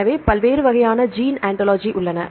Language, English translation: Tamil, So, there are different types of gene ontology